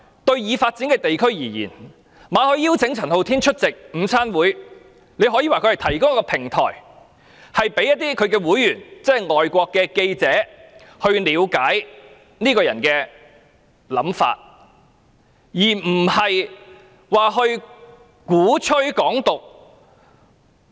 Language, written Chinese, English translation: Cantonese, 對已發展的地區而言，馬凱邀請陳浩天出席午餐會，可說是提供一個平台，讓香港外國記者會會員了解這個人的想法，而非鼓吹"港獨"。, In the eyes of the developed regions MALLETs invitation merely intended to provide a platform for members of the Foreign Correspondents Club Hong Kong FCC to know more about the ideas of Andy CHAN rather than advocating Hong Kong independence